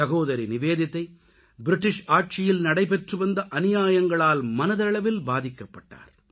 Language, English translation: Tamil, Sister Nivedita felt very hurt by the atrocities of the British rule